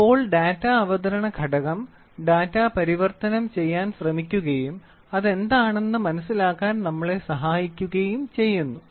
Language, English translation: Malayalam, So, the Data Presentation Element tries to convert the data in and helps us to understand what is it